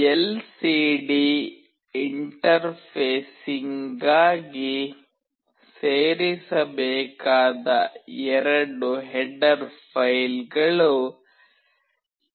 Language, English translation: Kannada, The two header files that are required to be included for LCD interfacing is TextLCD